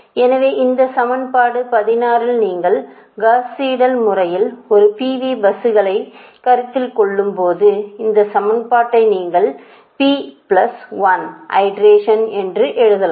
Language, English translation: Tamil, so so in that case you you this equation, this equation, that is equation sixteen, this equation, when you are considering a pv buses in gauss seidel method, this equation you can write in p plus one iteration